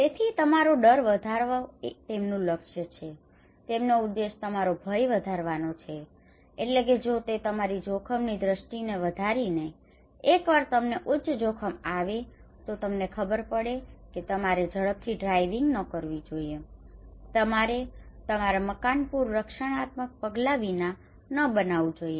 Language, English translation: Gujarati, So fear, it is the target the objective is to increase your fear if they can increase your fear that means if they can increase your risk perception, high risk perception once you have then you should not do rash driving you should not build your house without flood protective measures